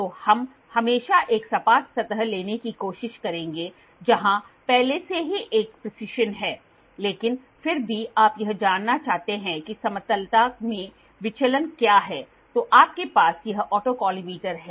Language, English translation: Hindi, So, we will always try to take flat, we will always try to take a flat surface where there is a precision already there, but still you want to find what is the deviation in the flatness then you have this autocollimator